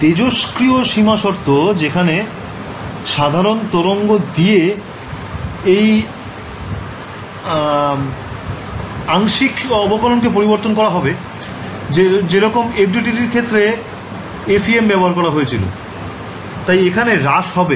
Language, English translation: Bengali, The radiation boundary condition, where we replace this partial the special derivative by the plane wave thing the; what we have we use in the case of FEM we use in the case of FDTD right, so, decays over here